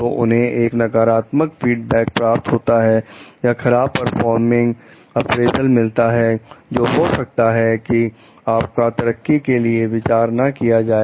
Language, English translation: Hindi, So, they may receive a negative feedback or poor performance appraisal, may not be considered for promotion